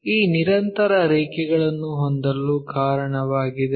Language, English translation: Kannada, So, that is the reason we have this continuous lines